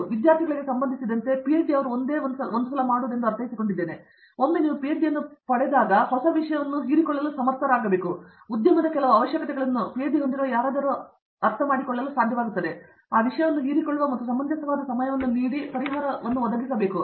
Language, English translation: Kannada, But, as far as the student is concerned, I think PhD, once you get a PhD I mean, when do you get a PhD I think within a certain reasonable time if you are able to absorb a new topic let’s say, industry has a certain requirement, somebody who has a PhD should be able to understand, absorb that topic and provide a solution given a reasonable amount of time